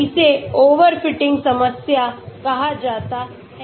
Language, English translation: Hindi, This is called an overfitting problem